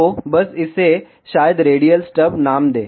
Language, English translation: Hindi, So, just name it as maybe radial stub